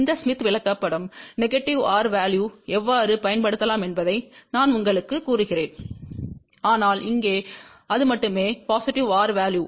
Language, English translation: Tamil, I will tell you how this smith chart can be use for negative r value also, but here it is only for the positive r value